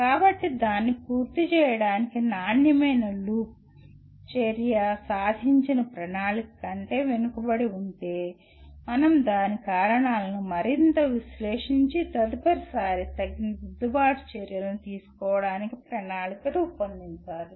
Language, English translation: Telugu, So quality loop again to complete this, action, if the attainment lags behind the planned target, we need to further analyze the reasons for the same and plan suitable corrective actions for the next time round